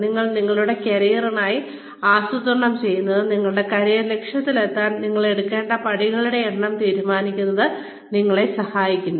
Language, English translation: Malayalam, Now, planning for your careers, helps you decide, the number of steps, you need to take, to reach your career objective